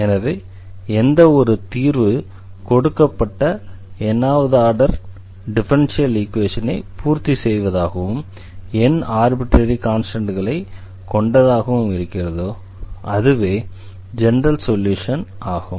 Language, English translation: Tamil, So, any solution of this differential equation of a given differential equation and if it has n independent arbitrary constants corresponding to the such nth order, ordinary differential equation then we call this solution as general solution